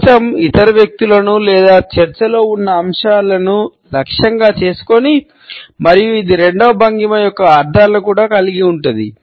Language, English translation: Telugu, The shield maybe targeting the other people or the topic which is under discussion and it also retains the connotations of the second posture